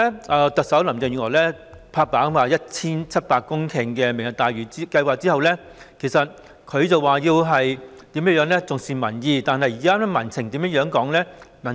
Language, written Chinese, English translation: Cantonese, 自特首林鄭月娥"拍板"推出 1,700 公頃的"明日大嶼願景"後，雖然她說會重視民意，但現時民情為何呢？, Ever since the Chief Executive Carrie LAM gave the green light to launching the Lantau Tomorrow Vision the Vision involving 1 700 hectares of land although she says that she attaches great importance to public opinion how is public opinion like at present?